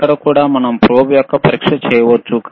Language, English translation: Telugu, Hhere also we can do the testing of the probe